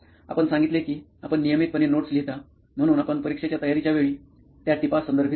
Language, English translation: Marathi, You said you write notes regularly, so do you refer those notes while you prepare for the exam